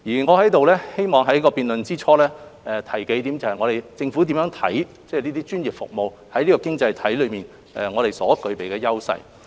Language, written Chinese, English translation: Cantonese, 我希望在辯論之初，就政府如何看待專業服務在這經濟體中所具備優勢，提出數點看法。, I wish to present several viewpoints at the beginning of the motion debate about how the Government sees the edges of professional services in our economy